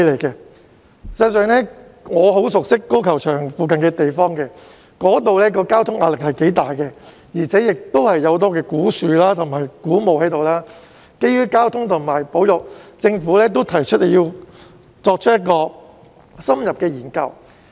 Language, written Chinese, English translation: Cantonese, 事實上，我很熟悉粉嶺高爾夫球場附近的地方，那裏的交通壓力頗大，亦有很多古樹及古墓，所以基於交通及保育考慮，政府亦提出要作出深入研究。, In fact I am very familiar with the area near the Fanling Golf Course where the traffic pressure is great and many old trees and old tombs are located . Thus the Government has proposed to conduct an in - depth study due to traffic and conservation considerations